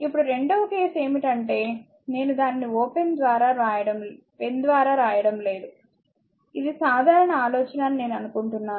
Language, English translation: Telugu, Now, second case is, it is I hope I am not marking it by pen I think it is simple think